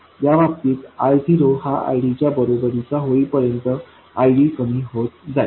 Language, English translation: Marathi, In this case, ID will go on decreasing until it becomes exactly equal to I0